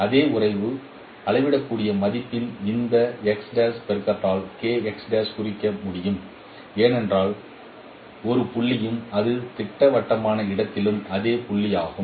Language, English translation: Tamil, The same relationship can be denoted by this this multiplication of a scalar value because a point x prime and k x prime it is the same point in the projective space